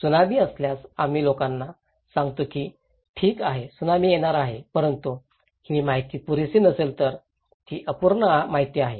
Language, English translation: Marathi, Like if there is a Tsunami, we tell people that okay, Tsunami is coming but if this information is not enough, it is incomplete information